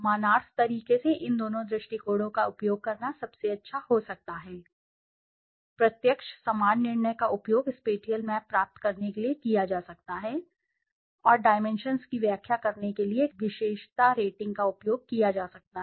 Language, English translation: Hindi, It may be best to use both these approaches in a complimentary way, direct, similar judgements may be used for obtaining the spatial map and attribute ratings may be used as an aid to interpret the dimensions